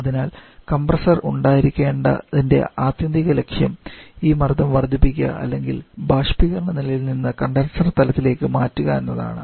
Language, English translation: Malayalam, So the ultimate aim of having the compressor is to gain this rise in pressure or to change the pressure from evaporator level to the condenser level